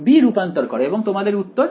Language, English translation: Bengali, Transforming b and your answer